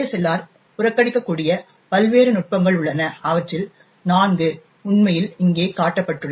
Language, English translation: Tamil, There are various techniques by which ASLR can be bypassed, four of them are actually shown over here